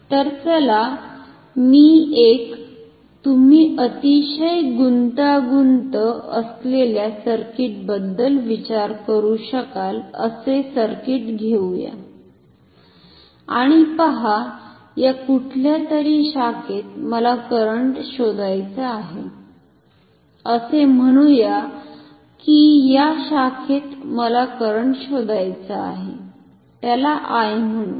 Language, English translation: Marathi, But so, let me take circuit you can think of a very complicated circuit and see that I want to find the current in any of these branches say in this branch call it I